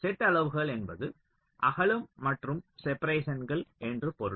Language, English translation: Tamil, set sizes means the width, i mean the width and also the separations